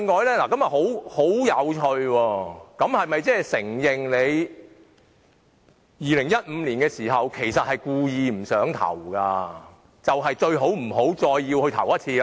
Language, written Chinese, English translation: Cantonese, 這是否承認他們在2015年時根本是故意不想投票，所以最好不要再來一次。, In doing so they have admitted that they actually did not want to participate in voting on the motion back in 2015 and it is therefore best not to do the same thing all over again